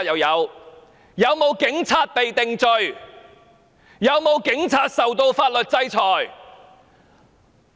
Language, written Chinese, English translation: Cantonese, 有沒有警察受到法律制裁？, Has any police officer been sanctioned by the law?